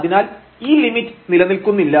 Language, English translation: Malayalam, In fact, the limit does not exist